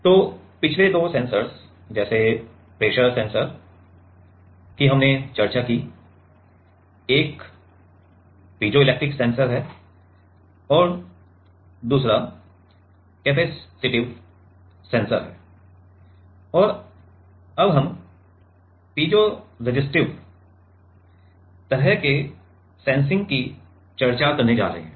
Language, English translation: Hindi, So, the last two sensors like Pressure Sensors we discussed is one is piezo electric sensor and another is capacitive sensor, and now we are going piezoresistive kind of sensing